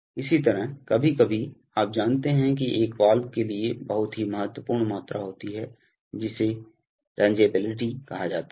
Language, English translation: Hindi, Similarly, these are, sometimes, you know there is a very important quantity for a valve called a rangeability